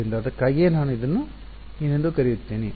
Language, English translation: Kannada, So, that is why I called it a